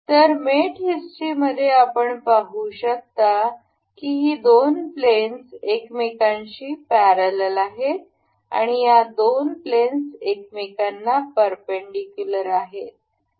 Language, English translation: Marathi, So, in the mating history we can see these two these two planes are parallel with each other and the these two planes are perpendicular with each other